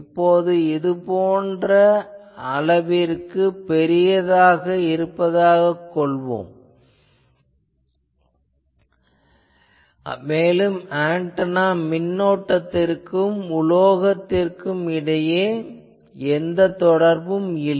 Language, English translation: Tamil, Now what is assuming that this is sufficiently large this is a metal that there is no interaction between the antennas currents and this metal that is the assumption